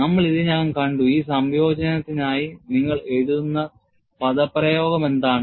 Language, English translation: Malayalam, We have already seen, what is the expression that you would write for this integration